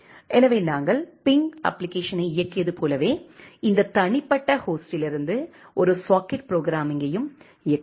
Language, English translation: Tamil, So, you can even execute a socket programming from this individual host, just like we have executed the ping application